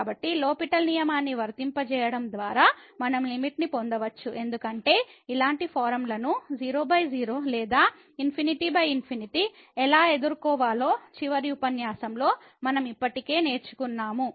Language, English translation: Telugu, So, applying the L’Hospital rule we can get the limit because we have already learnt in the last lecture how to deal search forms 0 by 0 or infinity by infinity